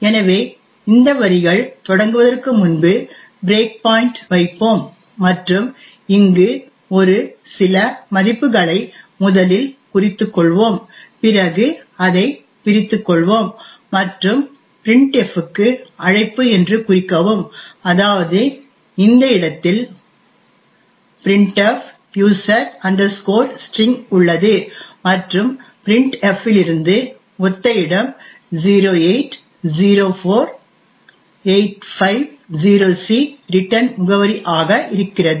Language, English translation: Tamil, So we have put a breakpoint at the start of this line and we will note a few values over here first is let us disassemble it and note that the call to printf that is this printf user string is present at this location and the adjacent location 0804850c is the return address from printf